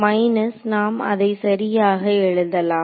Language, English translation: Tamil, So, minus let us write it properly all right